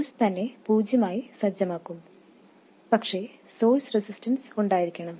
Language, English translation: Malayalam, The source itself would be set to zero, but the source resistance would be in place